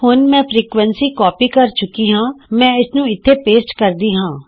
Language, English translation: Punjabi, Now I have copied the frequency , so let me paste it here